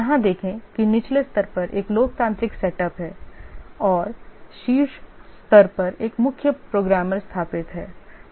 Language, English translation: Hindi, See here there is a democratic setup at the bottom level and a chief programmer setup at the top level